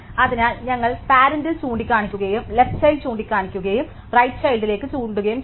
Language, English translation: Malayalam, So, we have a pointed to the parent, a pointed to the left child and a pointed to the right child